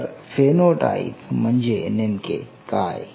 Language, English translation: Marathi, So, this is part one the phenotype